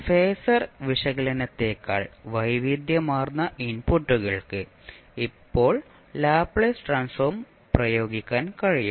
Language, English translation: Malayalam, Now Laplace transform can be applied to a wider variety of inputs than the phasor analysis